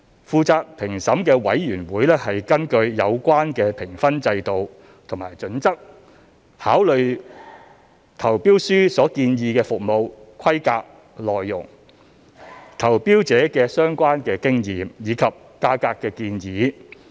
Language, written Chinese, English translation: Cantonese, 負責評審的委員會根據有關的評分制度和準則考慮了投標書所建議的服務規格內容、投標者的相關經驗，以及價格建議。, The panel responsible for the assessment took into account along the relevant marking scheme and assessment criteria the service specifications proposed in the tender documents the previous experiences of the bidder and their price proposal